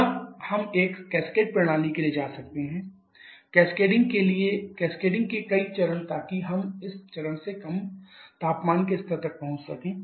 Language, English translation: Hindi, Or we can go for a cascaded system several stages of cascading so that we can reach such low temperature levels